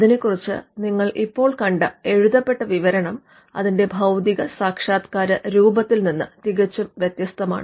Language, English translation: Malayalam, Now, the description as you just saw, the written description is much different from the physical embodiment itself